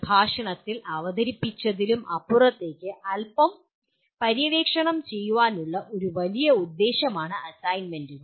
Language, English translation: Malayalam, The assignments will serve a great purpose of exploring a little bit beyond what has been presented in the lecture